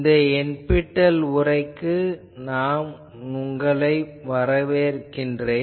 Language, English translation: Tamil, Welcome to this lecture NPTEL lecture